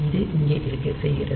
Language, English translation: Tamil, So, this is doing it here